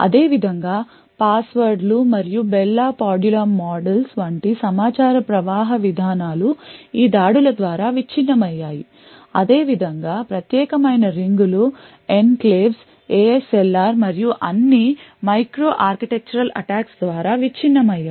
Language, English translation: Telugu, Similarly, passwords and the information flow policies such as the Bell la Padula models have been broken by these attacks similarly privileged rings, enclaves, ASLR and so on have all been broken by micro architectural attacks